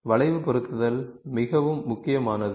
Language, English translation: Tamil, So, curve fitting is something which is very important